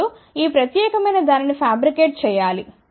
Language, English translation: Telugu, Now, this particular thing has to be now fabricated